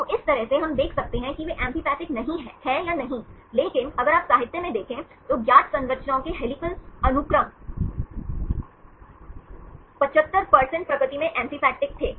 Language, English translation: Hindi, So, from this one, we can see whether they are amphipathic or not, but if you look in to the literature about 75% of the helical sequence of known structures were amphipathic in nature